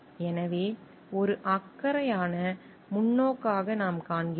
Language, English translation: Tamil, So, what we find as a caring perspective